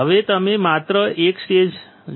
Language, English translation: Gujarati, Now, you see just stage one